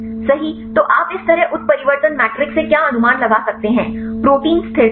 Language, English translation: Hindi, So, what can you infer from this mutation matrix like protein stability